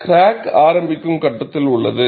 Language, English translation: Tamil, There is a crack initiation phase